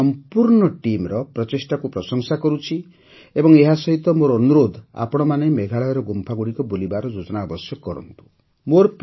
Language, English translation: Odia, I appreciate the efforts of this entire team, as well as I urge you to make a plan to visit the caves of Meghalaya